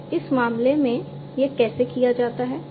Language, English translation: Hindi, So, how it is done in this case